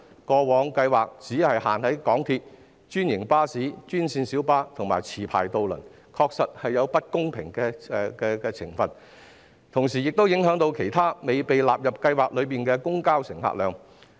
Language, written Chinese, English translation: Cantonese, 該計劃過往只適用於港鐵、專營巴士、專線小巴及持牌渡輪，確實有不公平的情況，同時亦會影響其他未被納入計劃的公共交通的乘客量。, Given that the scheme was previously only applicable to MTR franchised buses green minibuses and licensed ferries it was indeed unfair and would affect the patronage of other modes of public transport not included in the scheme